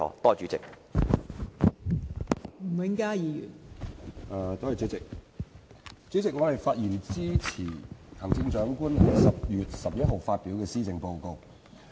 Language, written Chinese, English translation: Cantonese, 代理主席，我發言支持行政長官於10月11日發表的施政報告。, Deputy President I speak in support of the Policy Address released by the Chief Executive on 11 October